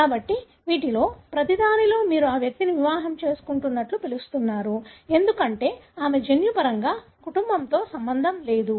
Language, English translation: Telugu, So, in each of these you can see that this individual, you call this as married in, because she is not related, genetically with this, the family